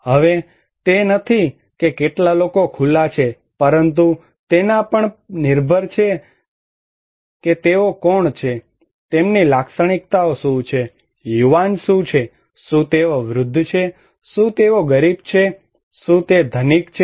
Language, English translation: Gujarati, Now, it is not that how many people are exposed, but it also depends that who are they, what are their characteristics, are the young, are they old, are they kid, are they poor, are they rich